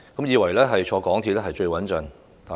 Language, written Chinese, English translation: Cantonese, 以為乘搭地鐵最穩陣嗎？, Do you think that it is most secure to take MTR?